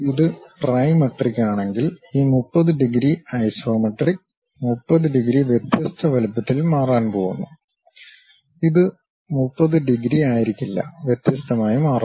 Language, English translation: Malayalam, If it is trimetric, where this 30 degrees iso, 30 degrees is going to change in different size; it may not be 30 degrees, differently it varies